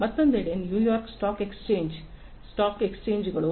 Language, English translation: Kannada, On the other hand, you know stock exchanges like New York stock exchange, etcetera